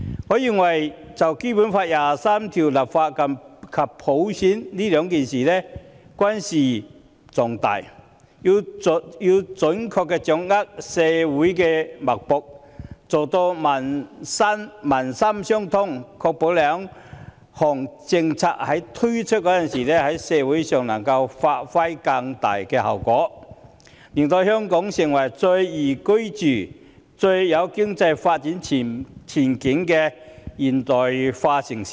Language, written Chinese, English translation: Cantonese, 我認為就《基本法》第二十三條立法及推行普選均事關重大，要準確掌握社會脈搏，做到民心相通，確保在推出兩項政策時，在社會上能夠發揮更大效果，令香港成為最宜居及最有經濟發展前景的現代化城市。, I think legislating for Article 23 of the Basic Law and introducing universal suffrage have significant implications . It is necessary for us to grasp precisely the pulse of community and foster people - to - people bond so as to ensure that the implementation of the two policies will achieve greater effects in the community and enable Hong Kong to become the most liveable modern city having the best economic development prospect